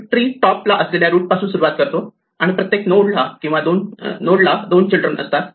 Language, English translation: Marathi, We start at the root which is the top of the tree and then each node will have 1 or 2 children